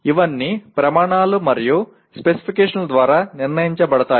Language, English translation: Telugu, these are all decided by the criteria and specifications